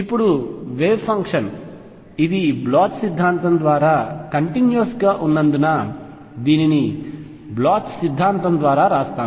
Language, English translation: Telugu, Now, since the wave function is continuous this is by Bloch's theorem, let me write that this is by Bloch's theorem